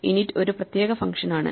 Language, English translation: Malayalam, So, init is a special function